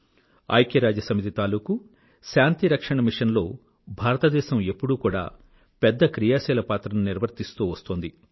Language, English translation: Telugu, India has always been extending active support to UN Peace Missions